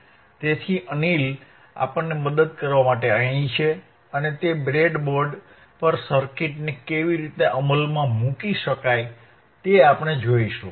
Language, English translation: Gujarati, So, Anil is here to help us, and he will be he will be showing us how the circuit you can be implemented on the breadboard